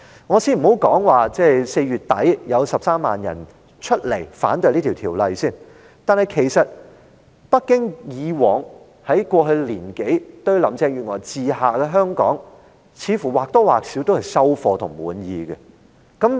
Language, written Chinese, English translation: Cantonese, 我先不談4月底有13萬人上街反對修例，其實北京以往兩年對於林鄭月娥治下的香港，似乎在一定程度也算滿意。, Let me put aside for a moment the protest of 130 000 people against the amendment at the end of April . Actually it seems that in the past two years Beijing has been satisfied to a certain extent with the situation of Hong Kong under Carrie LAMs administration